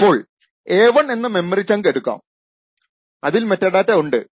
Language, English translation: Malayalam, So, for example for the chunk of memory a1 the metadata is present